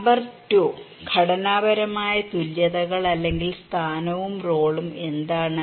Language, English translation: Malayalam, Number 2; structural equivalents or position and role what is that